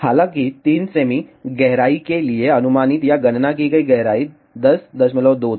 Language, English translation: Hindi, However for 3 cm depth the estimated or calculated depth was 10